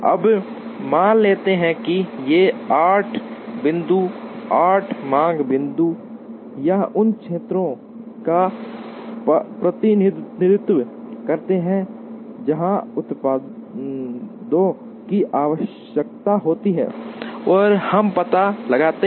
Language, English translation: Hindi, Now, let us assume that, these 8 points represent 8 demand points or areas where the products are required